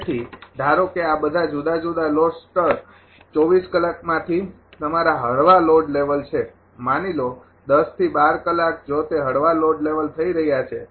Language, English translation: Gujarati, So, all this different load level suppose your light load level out of 24 hours; suppose 10 to 12 hours if it is happening the light load level